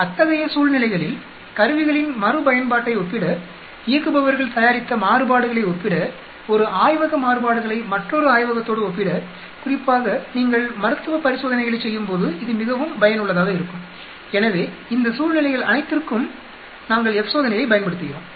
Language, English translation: Tamil, In those situations for comparing instruments repeatability, for comparing the variations operators produced, comparing variations produced in one lab verses another lab, especially this is very, very useful when you are performing clinical trials so all these situations we use F test also